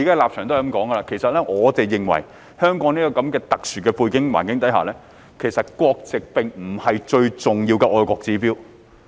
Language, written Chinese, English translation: Cantonese, 其實，我們認為首先一定要認定，香港在這個特殊的背景和環境下，國籍並不是最重要的愛國指標。, In our opinion we must first recognize that given the special background and circumstances of Hong Kong nationality is not the most important indicator of patriotism